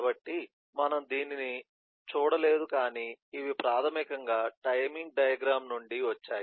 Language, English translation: Telugu, we have not yet done the timing diagram so we haven’t seen this, but these are basically from the timing diagram